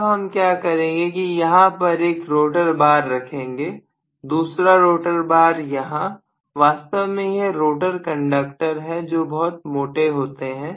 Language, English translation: Hindi, Now what I am going to do is to put one rotor bar here, second rotor bar, rotor conductor, it is a conductor but very thick so I am calling this as rotor bar